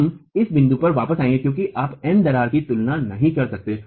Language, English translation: Hindi, We will come back to this point because you cannot compare MC crack and MU